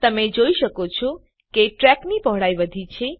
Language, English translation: Gujarati, You can see that the width of the track has increased